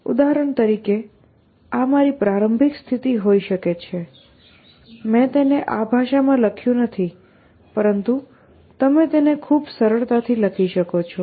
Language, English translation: Gujarati, So, for example, this could be my start state, I have not written it in this language, but you can write it quite easily